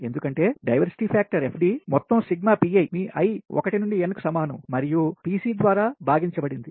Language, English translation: Telugu, right, because diversity factor sum sigma pi, your i is equal to one to n and divided by pc and coincidence factor is just opposite